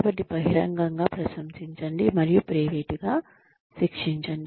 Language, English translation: Telugu, So, praise in public, and punish in private